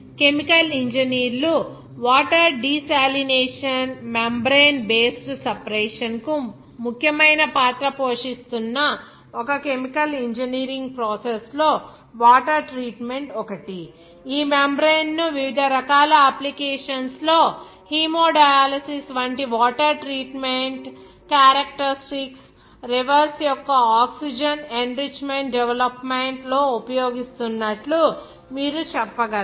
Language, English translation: Telugu, The treatment of water one of the important chemical engineering process where chemical engineers play an important role for the water desalination membrane based separation is one of the important processes in chemical engineers where you can say this membrane is being used in a variety of applications for the water treatment characteristics like hemodialysis even oxygen enrichment development of reverse